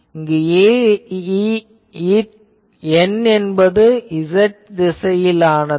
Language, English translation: Tamil, So, n in this case is z directed